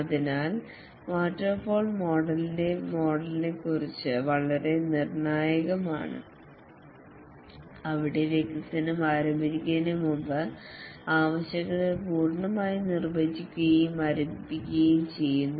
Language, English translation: Malayalam, So, it is very critical about the waterfall model where the requirements are fully defined and frozen before the development starts